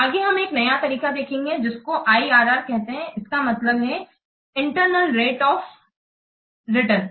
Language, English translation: Hindi, Next, we'll see the other measure that is called as IRR, which stands for internal rate of return